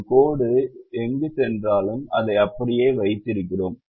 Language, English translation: Tamil, wherever one line passes through, we keep it as it is